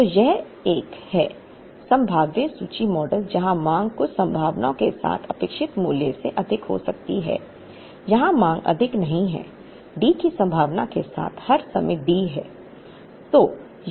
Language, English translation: Hindi, So, this is a probabilistic inventory model where demand can exceed the expected value with certain probabilities, here the demand does not exceeds the demand is D all the time with the probability of 1